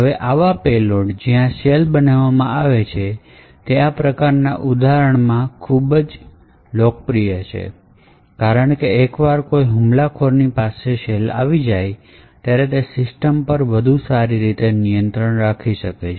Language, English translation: Gujarati, Now, such payloads where a shell is created is very popular in this kind of examples because once an attacker has a shell, he has quite a better control on the system